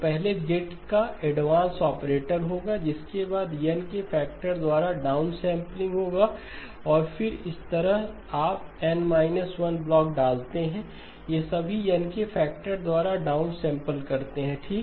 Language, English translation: Hindi, So then the first one would be an advance operator of Z followed by downsampling by a factor of N and like this you put N minus 1 blocks, all of them down sample by a factor of N okay